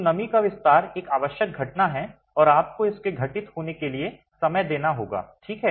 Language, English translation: Hindi, So, moisture expansion is an essential phenomenon and has to, you have to give time for this to occur